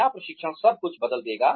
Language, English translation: Hindi, Will training change everything